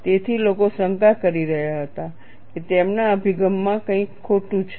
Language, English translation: Gujarati, So, people are doubting, is there anything wrong in his approach